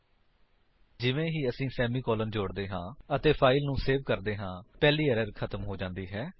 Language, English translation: Punjabi, Notice that once we add the semicolon and save the file, the first error is gone